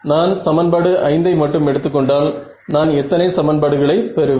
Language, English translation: Tamil, Before we further if I take equation 5 over here how many equations in how many variables will I get